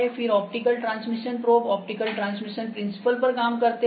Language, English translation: Hindi, Then optical transmission probes are there, when optical transmission is the principal